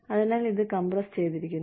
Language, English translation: Malayalam, So, that, this is compressed